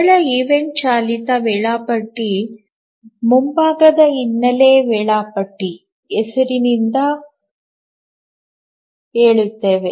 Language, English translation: Kannada, The simplest event driven scheduler goes by the name foreground background scheduler